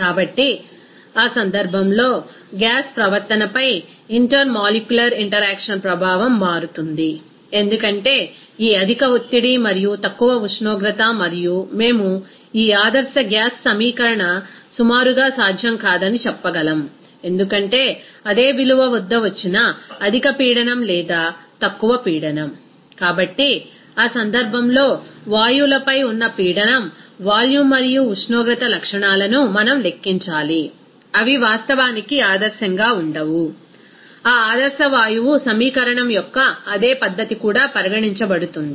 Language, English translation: Telugu, So, in that case, the impact of that intermolecular interaction on the gas behavior that will be changed because of this higher pressure and lower temperature and because of what we can say that this ideal gas equation cannot be approximately given the same value at higher pressure or lower pressure So, in that case, we need to calculate that pressure, volume and temperature properties on gases, which are not actually ideal that also to be considered in the same fashion of that ideal gas equation